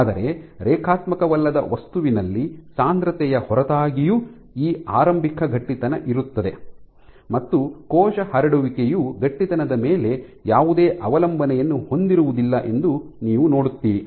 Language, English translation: Kannada, But if you take a non linear material no matter what concentration you start from whatever is this initial stiffness you see that the cell spreading does not have any dependents on stiffness